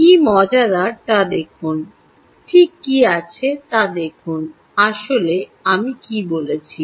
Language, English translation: Bengali, look at what are exactly what actually i have said